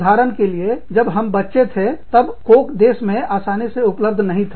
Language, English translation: Hindi, For example, when we were children, coke, was not as easily available in the country